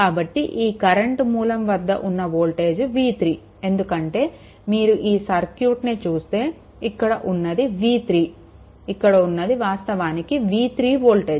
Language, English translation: Telugu, So, v 3 is the voltage across the current source, this is your because if you look into the circuit that this v 3 ah this v 3 actually this actually this voltage is v 3 right